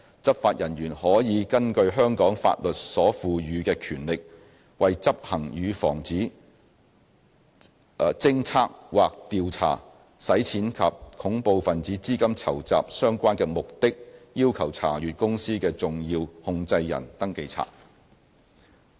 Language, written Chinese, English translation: Cantonese, 執法人員可以根據香港法律所賦予的權力，為執行與防止、偵測或調查洗錢或恐怖分子資金籌集相關的目的，要求查閱公司的"重要控制人登記冊"。, Law enforcement officers may demand the inspection of the SCR of a company for the purpose of prevention detection or investigation of money laundering or terrorist financing in accordance with the powers conferred upon them by the law of Hong Kong